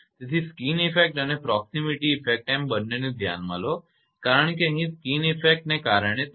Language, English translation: Gujarati, So, due to skin effect and proximity effect both you consider right because here it is given proximity effect increase due to proximity of 3